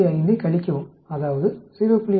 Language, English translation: Tamil, 5 from that, that means subtract 0